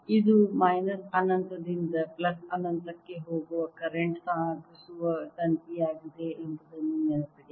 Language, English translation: Kannada, remember, this is a current carrying wire going from minus infinity to plus infinity